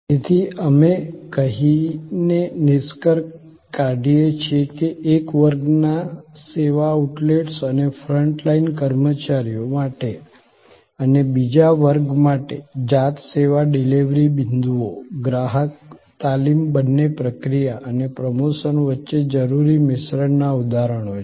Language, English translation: Gujarati, So, we conclude by saying that for one class service outlets and front line employees and for another class the self service delivery points, the customer training both are instances of the fusion necessary between process and promotion